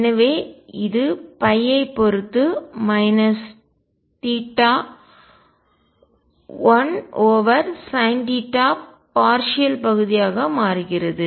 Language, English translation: Tamil, So, this becomes minus theta 1 over sin theta partial with respect to phi